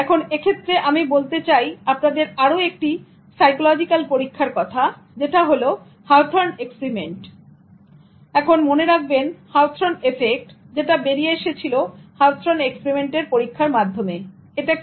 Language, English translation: Bengali, Now with this I just want you to also remember one more interesting psychological experiment that is in terms of Hawthorn experiment and remember Hawthorn effect which came out of Hawthor experiment